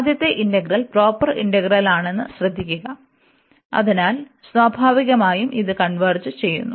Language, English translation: Malayalam, And note that the first integral is is a proper integral, so naturally it converges